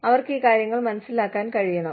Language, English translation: Malayalam, They should be able to understand, these things